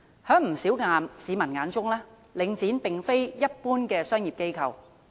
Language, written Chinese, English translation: Cantonese, 在不少市民眼中，領展並非一般的商業機構。, In the eyes of the majority public Link REIT is not an ordinary commercial organization